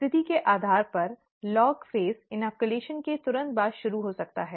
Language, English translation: Hindi, Depending on the situation, the log phase may start immediately after inoculation